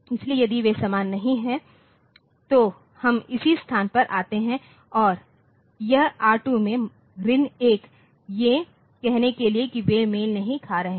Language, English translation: Hindi, So, if they are not same then we come to this not same location and set this we said this R2 to minus 1 we said this R2 to minus 1 to say that they are not matching